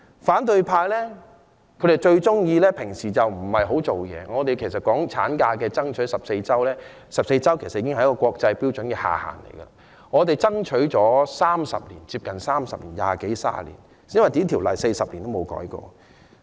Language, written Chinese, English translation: Cantonese, 反對派平常不大工作，我們爭取產假增加至14周 ——14 周其實是國際標準的下限——已爭取接近30年的時間，而這項規定40年也沒有修改過。, The opposition camp normally does not do anything substantive . We have been striving to extend maternity leave to 14 weeks―the period of 14 weeks is actually the lower limit of international standard―for nearly 30 years and this regulation has not be amended for 40 years